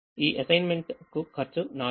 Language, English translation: Telugu, to this assignment, the cost is four